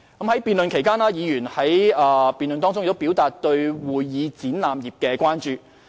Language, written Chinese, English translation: Cantonese, 在辯論期間，議員表達對會議展覽業的關注。, During the debate Members expressed concern about the convention and exhibition industry